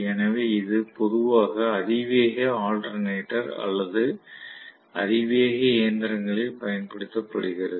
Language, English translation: Tamil, So this is generally used in high speed alternator or high speed machines